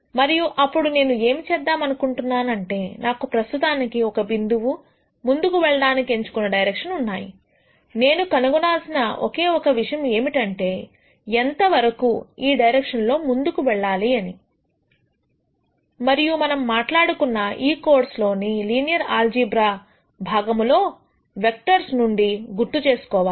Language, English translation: Telugu, And then what I am going to say is I have a current point I have chosen a direction in which I want to move the only other thing that I need to gure out is how much should I move in this direction, and remember from vectors we talked about in the linear algebra portion of this course